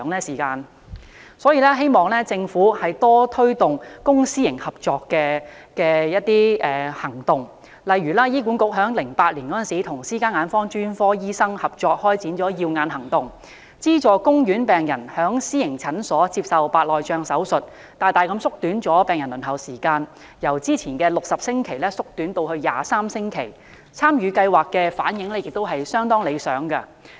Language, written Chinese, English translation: Cantonese, 有見及此，我希望政府多推動公私營合作，例如醫管局在2008年與私家眼科專科醫生合作開展"耀眼行動"，資助公院病人在私營診所接受白內障手術，大大縮短病人輪候時間，由原先的60星期縮短至23星期，參與計劃的病人反應亦相當理想。, For this reason I hope that the Government can make stronger efforts to promote public - private partnership . One example is the Cataract Surgeries Programme launched by HA in 2008 in partnership with private - sector ophthalmologists . This programme offers subsidies to public hospital patients for receiving cataract operations in private clinics thus reducing the waiting time drastically from 60 weeks to 23 weeks